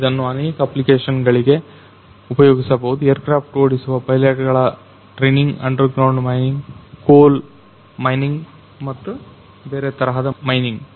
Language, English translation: Kannada, So, it can be used for varied application starting from training of pilots who are running the aircrafts for underground mining, coal mining or other types of mining